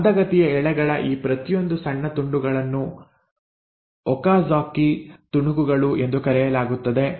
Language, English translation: Kannada, Now each of these tiny pieces of the lagging strand are called as the Okazaki fragments